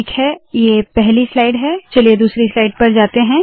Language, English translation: Hindi, Alright, this is the first slide, lets go to the second one